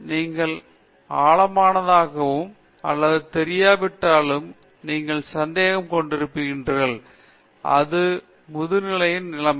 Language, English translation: Tamil, You are having a doubt whether you know anything deep or not that is the situation of Masters